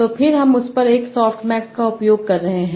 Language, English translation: Hindi, And for that you use softmax